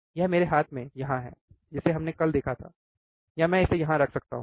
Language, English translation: Hindi, In my hand here, that we have seen yesterday or I can keep it here